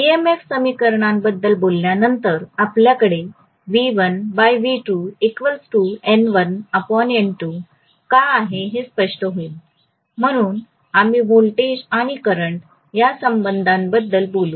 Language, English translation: Marathi, After talking about the EMF equation it will become clearer why we have V1 by V2 equal to N1 by N2, so we will talk about voltage and current relationships